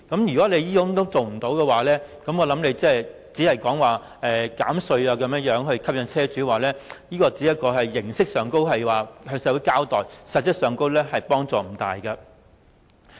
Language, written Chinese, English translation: Cantonese, 如果不能多提供充電設施，我認為政府提出減稅以吸引車主轉用電動車，只是形式上向社會交代，實質幫助並不大。, If the Government does not provide more charging facilities for EVs but rather use tax reduction to tempt owners to switch to EVs this is just a superficial way of showing its accountability and is not at all helpful